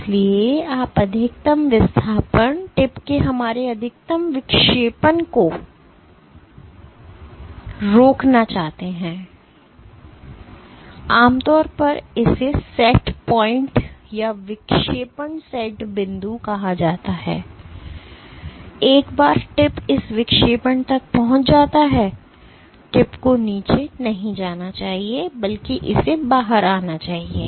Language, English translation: Hindi, So, you want to constrain the maximum displacement, our maximum deflection of the tip and this is typically called the SetPoint or the deflection set point, that once the tip reaches this deflection the tip should not go down anymore rather it should just come out so that you can reuse the tip